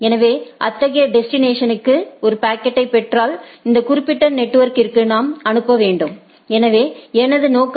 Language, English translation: Tamil, So, if I get a get a packet with so, such destination, then I need to forward to this particular network; that is my objective